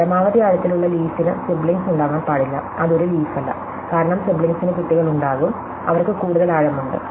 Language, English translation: Malayalam, So, maximum depth leaf cannot have sibling, which is not a leaf, because its sibling it would have a children, which have to higher depth